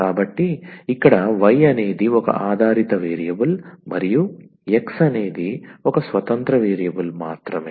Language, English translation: Telugu, So, only one dependent variable that is y and one independent variable that is x